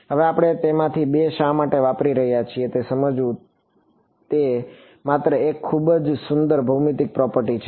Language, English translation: Gujarati, Now we will get into why we are using two of them it is a very beautiful geometric property only